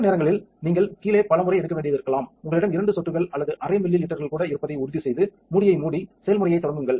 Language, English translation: Tamil, Sometimes you may need to take several times in the bottom, make sure that you have a couple of drops or maybe even half a millilitre left, close the lid and start the process